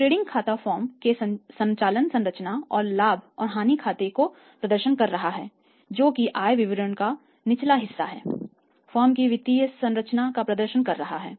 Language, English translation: Hindi, Trading account is exhibiting the operating structure of steps of the firm and profit and loss account lower part 2nd part of the income statement is exhibiting the financial structure of the firm